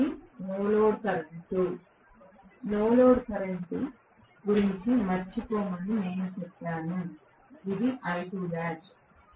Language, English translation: Telugu, This is the no load current; I just said forget about the no load current, this is I2, Right